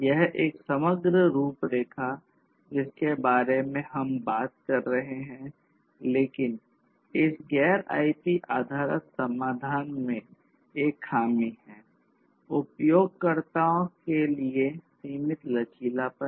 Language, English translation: Hindi, So, this is this holistic framework that we are talking about over here, but the drawback of this non IP based solutions are that there is limited flexibility to end users